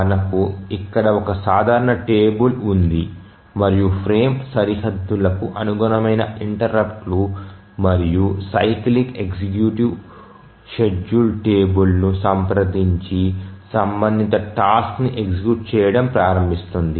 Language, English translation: Telugu, Here we have a simple table here and the interrupts corresponding to the frame boundaries and the cycli executive simply consults the schedule table and just starts execution of the corresponding task